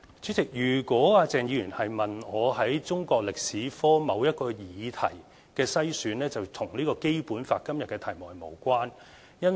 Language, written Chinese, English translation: Cantonese, 主席，如果鄭議員問的是中國歷史科某一個議題的篩選，這是與今天《基本法》的題目是無關的。, President if Dr CHENGs question is about the screening of any individual topics in the subject of Chinese History I must say that his question is not relevant to the question on the Basic Law today